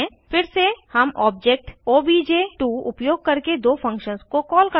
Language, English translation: Hindi, Again, we call the two functions using the object obj2